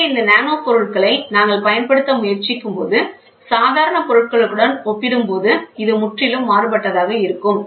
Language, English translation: Tamil, So, when we try to use these nanomaterials, you have a completely different ball game as compared to the normal materials available